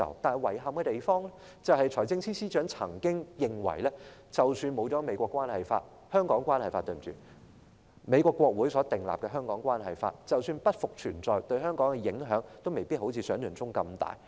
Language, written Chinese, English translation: Cantonese, 但遺憾地，財政司司長卻曾經表示，他認為即使沒有《美國關係法》——抱歉，應該是《香港關係法》——即使美國國會所訂立的《香港關係法》不復存在，對香港的影響也未必如想象中那麼大。, But regrettably FS has said that in his view even if there was no United States Relations Act―sorry it should be the Hong Kong Relations Act―even if the Hong Kong Relations Act enacted by the United States Congress ceased to exist the impact on Hong Kong might not be so great as imagined